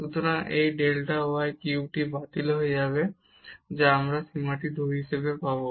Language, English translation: Bengali, So, this delta y cube will get cancel and we will get this limit as 2